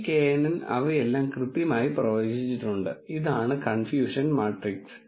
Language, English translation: Malayalam, This knn has exactly predicted all of them correctly, this is what is confusion matrix